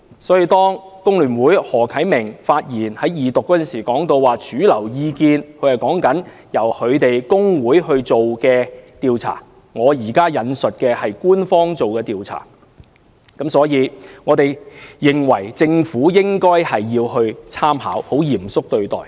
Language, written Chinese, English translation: Cantonese, 所以，工聯會何啟明議員在二讀辯論發言時提到的"主流意見"，所指的其實是其工會自己進行的調查，我引述的則是官方調查結果，政府應該參考及嚴肅對待。, Hence when Mr HO Kai - ming from The Hong Kong Federation of Trade Unions FTU mentioned mainstream view in his speech during the Second Reading debate he was actually referring to the survey conducted by trade unions of FTU . The Government should draw reference from the official survey findings that I quoted just now and consider them seriously